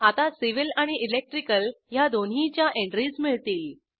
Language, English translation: Marathi, Now entries for both civil and electrical are given